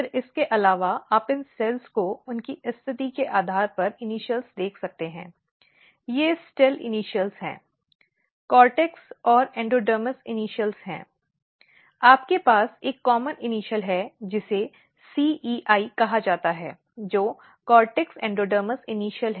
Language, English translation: Hindi, And if you look here this is initial and actually for cortex and endodermis you have a common initial which is called C E I, which is Cortex Endodermis Initial